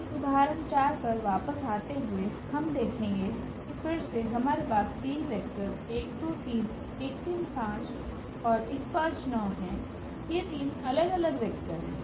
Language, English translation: Hindi, Coming back to this example 4, we will see that again we have three vectors here 1 2 3, 1 3 5, and 1 5 9 these are three different vectors